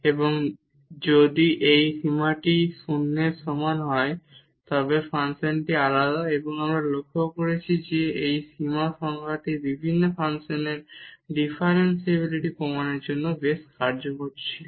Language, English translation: Bengali, And, if this limit equal to 0 then the function is differentiable and we have observed that this limit definition was quite useful for proving the differentiability of various functions